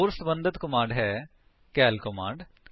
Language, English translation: Punjabi, Another related command is the cal command